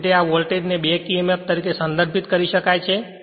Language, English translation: Gujarati, So, that it is customary to refer to this voltage as the back emf